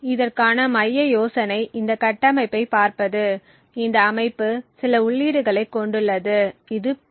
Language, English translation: Tamil, The central idea for this is to look at this structure, this structure comprises of some input which we denote P